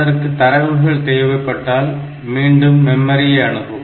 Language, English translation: Tamil, So, if it needs data it will again access the memory